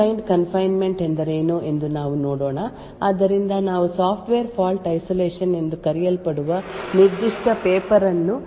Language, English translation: Kannada, So, let us see what a Fine grained confinement is, so we will be actually discussing a particular paper known as Software Fault Isolation